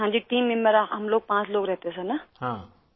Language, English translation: Urdu, Yes…team members…we were five people Sir